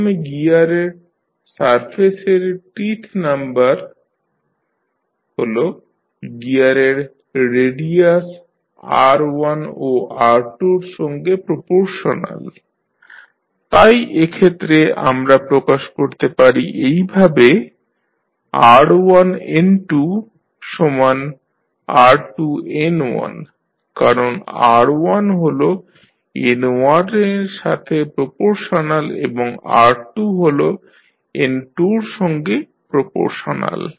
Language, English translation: Bengali, First is the number of teeth on the surface of the gear is proportional to the radius r1 and r2 of the gears, so in that case we can define r1N2 is equal to r2N1 because r1 is proportional to N1 and r2 is proportional to N2